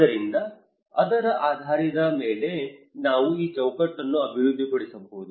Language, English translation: Kannada, So based on that we can actually develop these framework